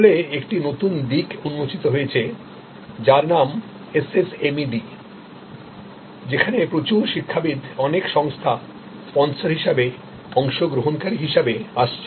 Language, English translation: Bengali, In fact, there is a new notation which is called SSMED which has many sponsors, many academicians, many organization as sponsors, as participants